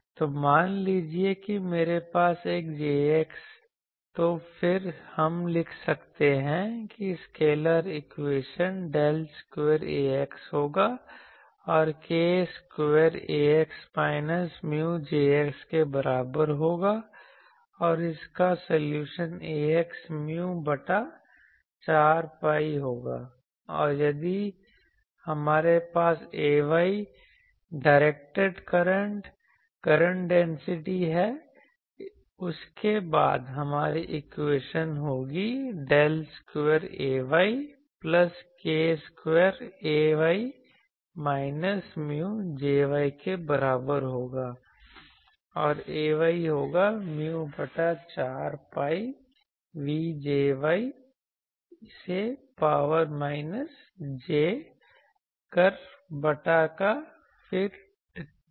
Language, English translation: Hindi, So, then, we can write that the scalar equation will be del square A x plus k square A x is equal to minus mu J x and its solution Ax will be mu by 4 pi and also if we have A y directed current, current density; then, our equation will be del square Ay plus k square Ay is equal to minus mu J y and Ay will be mu by 4 pi the v dash J y e to the power minus jkr by r, then dv dash ok